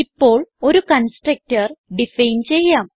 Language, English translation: Malayalam, Now let us define a constructor